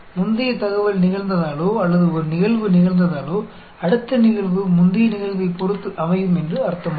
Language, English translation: Tamil, Just because a previous information has happened, or a event has happened, that does not mean the succeeding event will be dependent on the previous event